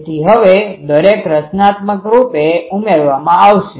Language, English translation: Gujarati, So, each one will be now constructively adding